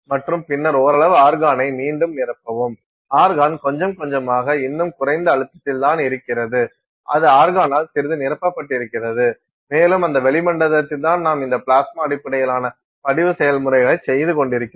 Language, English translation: Tamil, And, then you refill with some amount of argon, little bit of argon it is still low pressure it is filled with little bit of argon and it is in that atmosphere that you are doing this plasma based deposition process